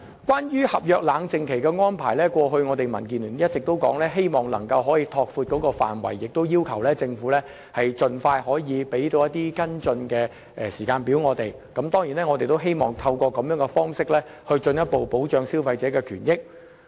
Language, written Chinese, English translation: Cantonese, 關於合約冷靜期的安排，民建聯過去一直希望能夠拓闊有關範圍，要求政府盡快提供跟進時間表。我們希望能透過這種方式，進一步保障消費者的權益。, DAB has always wanted to expand the coverage of the cooling - off period in the contract and requested the Government to expeditiously set a timetable for follow - up actions in the hope that consumers interests can be further protected